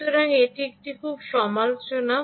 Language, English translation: Bengali, so that is a very critical